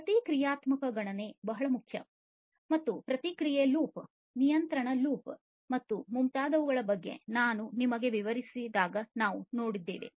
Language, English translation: Kannada, Reactive computation is very important and that we have seen when I explained to you about this feedback loop, the control loop and so on